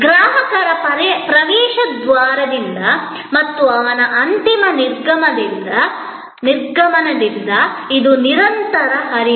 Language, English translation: Kannada, Right from the entrance of the customer and his final departure, it is a flow